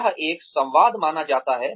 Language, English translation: Hindi, It is supposed to be a dialogue